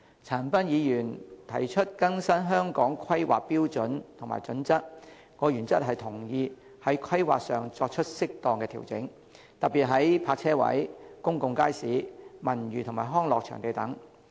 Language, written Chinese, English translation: Cantonese, 陳恒鑌議員提出更新《香港規劃標準與準則》，我原則上同意在規劃上作出適當調整，特別是泊車位、公眾街市、文娛及康樂場地等。, Mr CHAN Han - pan proposed to update the Hong Kong Planning Standards and Guidelines HKPSG . I agree in principle that suitable adjustments be made to Hong Kongs planning especially in the provision of parking spaces public markets as well as cultural leisure and sports venues and so on